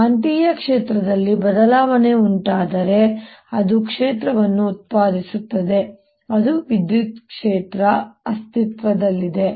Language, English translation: Kannada, if there is a change, a magnetic field, it produces fiels, electric fiels